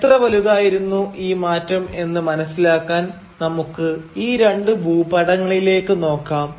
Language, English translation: Malayalam, And to get an idea about how big this change was, let us look at these two maps